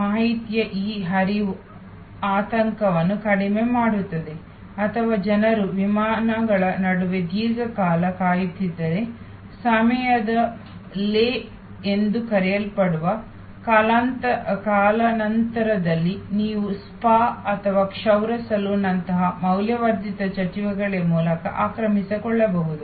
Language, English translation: Kannada, This flow of information reduces anxiety or were people are waiting for long time between flights, the so called lay of time, lay over time, you can occupy through value added activities like a spa or a haircut saloon and so on